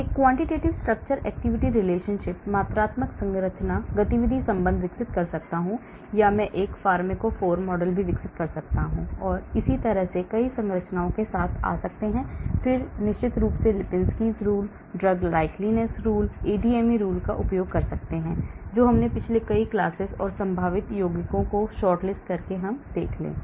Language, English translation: Hindi, I may develop a quantitative structure activity relationship or I may even develop a pharmacophore model, and that is how I come up with new structures and then I will of course use Lipinski’s rule, drug likeness rules, ADME rules which we have seen in the previous many classes and shortlist possible compounds